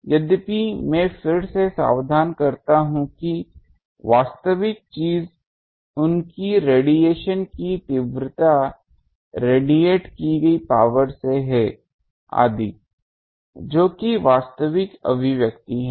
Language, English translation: Hindi, Though I again caution that actual thing is from their intensity of radiation the power radiated etc